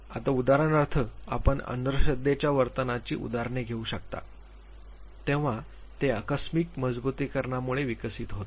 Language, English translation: Marathi, Now for example, now you can take examples of superstitious behavior when it develops due to accidental reinforcement